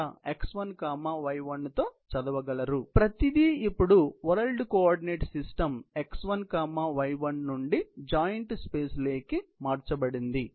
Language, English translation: Telugu, So, everything is converted now into the joint space from the world coordinate system x1,y1